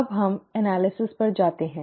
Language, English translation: Hindi, This is the analysis